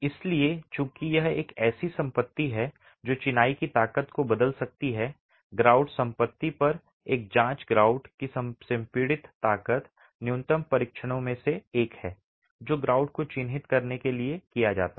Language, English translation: Hindi, So, again, since it's a property that can alter the strength of masonry, a check on the grout property, grout compressive strength is one of the minimum tests that is carried out to characterize the grout itself